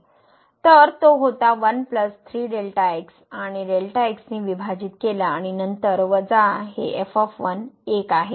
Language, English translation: Marathi, So, it was 1 plus 3 was coming and divided by and then here minus this is 1